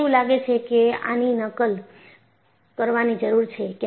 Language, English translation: Gujarati, I think you need to make a copy of this